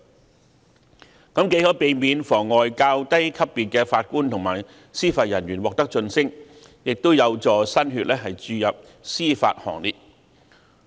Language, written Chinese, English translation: Cantonese, 這樣既可避免妨礙較低級別的法官及司法人員獲得晉升，亦有助新血注入司法行列。, This can not only avoid creating promotion blockages for junior JJOs but also attract new blood to the judicial service